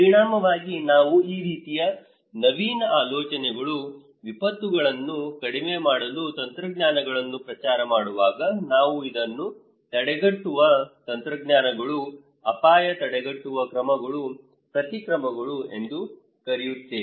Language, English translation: Kannada, As a result, when we promote this kind of innovative ideas, technologies to reduce disasters, we call these preventive technologies, risk preventive measures, countermeasures